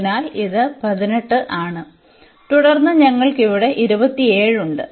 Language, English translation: Malayalam, So, this is 18 and then we have a 27 there